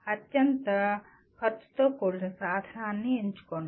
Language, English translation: Telugu, Select the most cost effective tool